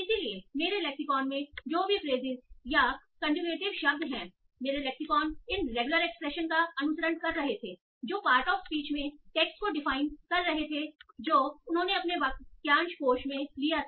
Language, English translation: Hindi, And so whatever phrases in my lexicon or the conjugative words in my lexicon were following these regular expressions defined over power to speech text, they took that in their frugal lexicon